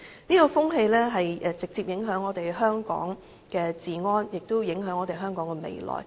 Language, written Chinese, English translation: Cantonese, 這種風氣直接影響香港的治安，亦影響香港的未來。, Such trend not only directly affected the public order in Hong Kong but also the future of Hong Kong